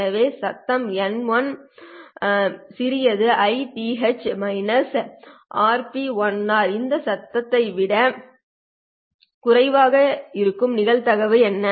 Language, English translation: Tamil, What is the probability that this noise would be less than this